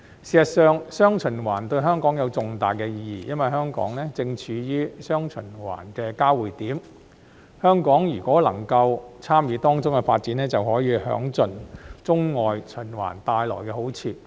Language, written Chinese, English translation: Cantonese, 事實上，"雙循環"對香港有重大意義，因為香港正處於"雙循環"的交匯點，如果香港能夠參與當中的發展，便可以享盡中外循環帶來的好處。, In fact dual circulation is of great importance to Hong Kong because Hong Kong is the intersection point of dual circulation . If Hong Kong can participate in the development of dual circulation it will be able to fully enjoy the benefits brought about by the dual circulation between China and the rest of the world